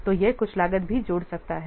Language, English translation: Hindi, So this may also add some cost